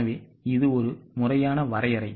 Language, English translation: Tamil, So, this is the formal definition